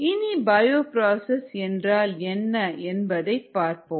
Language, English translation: Tamil, so let us look at what actually a bioprocess is